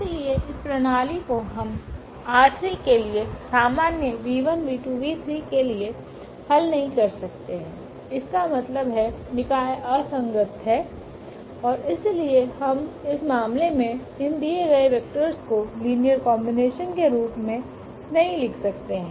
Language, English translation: Hindi, So, this system we cannot solve for general v 1 v 2 v 3 from R 3; that means, the system is inconsistent and hence we cannot write down in this case as a linear combination of these given vectors